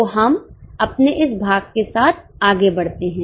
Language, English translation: Hindi, So, let us go ahead with our module